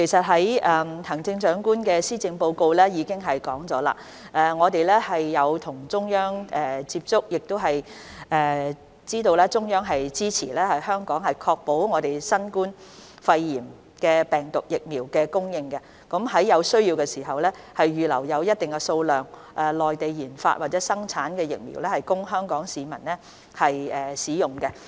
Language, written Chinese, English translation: Cantonese, 行政長官在施政報告中指出，當局曾與中央政府接觸，亦知道中央政府會支持香港確保新冠疫苗供應，在有需要時，預留一定數量的內地研發或生產的疫苗供香港市民使用。, The Chief Executive has pointed out in the Policy Address that the authorities have contacted the Central Government and are aware that the Central Government supports Hong Kong in ensuring the supply of COVID - 19 vaccines and will reserve a certain amount of vaccines developed or produced in the Mainland for use by Hong Kong people when necessary